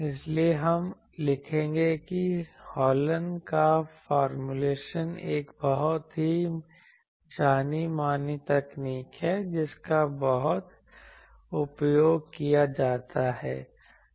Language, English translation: Hindi, So, we will write the Hallen’s formulation is a very well known technique very much used